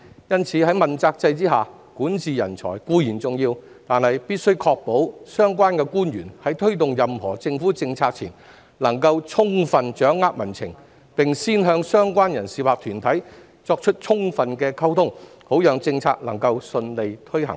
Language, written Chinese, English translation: Cantonese, 因此，在問責制下，管治人才固然重要，但必須確保相關官員在推動任何政府政策前，能充分掌握民情，並先與相關人士或團體進行充分溝通，好讓政策能夠順利推行。, Therefore while talent for governance is undoubtedly important under the accountability system it is essential to ensure that the officials concerned have a good grasp of public sentiment and fully communicate with the relevant individuals or organizations before introducing any government policy so that the policy can be implemented smoothly